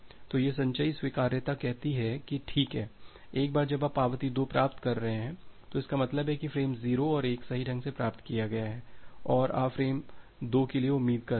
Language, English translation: Hindi, So this cumulative acknowledgement says that well, once you are receiving an acknowledgement 2, that means, frame 0’s and 1’s have been received correctly and you are expecting for frame 2